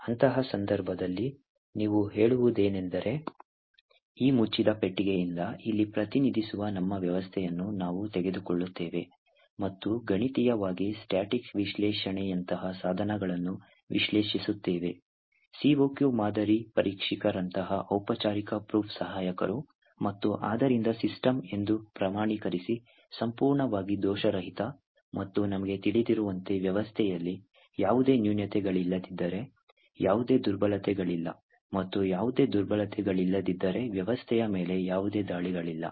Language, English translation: Kannada, So, one of the best ways to prevent such kinds of attacks is the first approach which, and it is quite, kind of the obvious approach that one would start off with is, where we want to design systems without any flaws in such a case, what you say is that we take our system which is represented here by this closed box and analyse the system mathematically using tools such as static analysis, a formal proof assistants which has a COQ model checkers and therefore certify that the system is completely flawless and as we know if there are no flaws in the system, there are no vulnerabilities and if there are no vulnerabilities that can be no attacks on the system